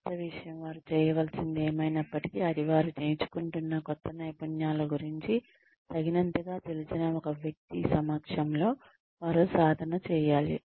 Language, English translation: Telugu, Should be practiced by them, in the presence of a person, who knows enough about the new skills that they are learning